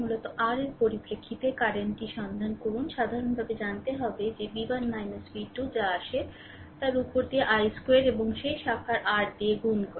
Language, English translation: Bengali, Find out current in terms of your basically its i square r you find out general in general that v 1 minus v 2 upon whatever i is come and multiply by that I take is square and multiplied that r of that branch right